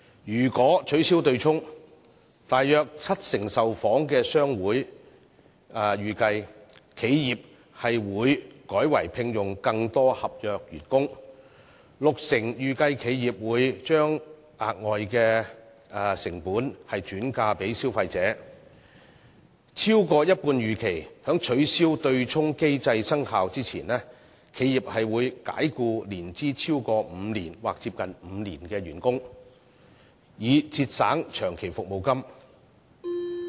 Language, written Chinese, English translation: Cantonese, 如果取消對沖機制，約七成受訪商會預期企業會改為聘用更多合約員工；六成受訪商會預期企業會將額外的成本轉嫁給消費者；超過一半受訪商會預期在取消對沖機制生效前，企業會解僱年資超過5年或接近5年的員工，以節省長期服務金。, Should the offsetting mechanism be abolished some 70 % of the respondents anticipated that enterprises would hire more contract staff instead; 60 % anticipated that enterprises would shift the additional costs onto consumers; and more than half anticipated that before the offsetting mechanism was abolished enterprises would dismiss staff members whose length of service was more than or close to five years with a view to achieving savings in long service payment